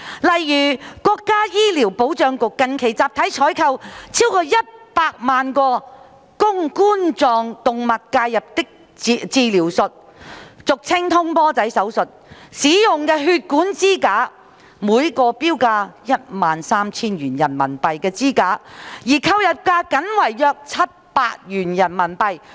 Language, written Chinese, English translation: Cantonese, 例如，國家醫療保障局近期集體採購逾一百萬個供冠狀動脈介入治療術使用的血管支架，每個標價 13,000 元人民幣的支架的購入價僅為約700元人民幣。, For instance the National Healthcare Security Administration has recently made a bulk procurement of over one million vascular stents for use in percutaneous coronary intervention PCI operations at a purchase price of around Renminbi RMB 700 only for each stent which had a marked price of RMB13,000